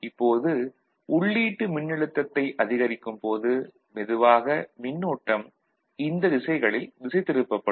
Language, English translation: Tamil, Now, as the input voltage is increased, ok, so, slowly, slowly, current might get diverted in this direction, ok